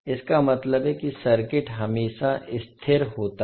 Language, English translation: Hindi, This implies that the circuit is always stable